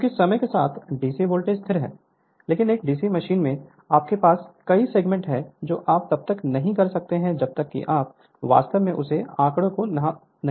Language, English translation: Hindi, Because with because with time DC voltage is constant, but in a DC machine you have several segments you cannot unless and until you see in your exact your what you call that figure right